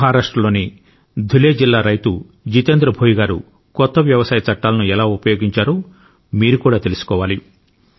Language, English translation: Telugu, You too should know how Jitendra Bhoiji, a farmer from Dhule district in Maharashtra made use of the recently promulgated farm laws